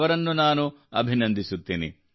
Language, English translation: Kannada, I congratulate him